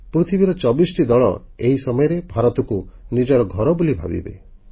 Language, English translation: Odia, Twentyfour teams from all over the world will be making India their home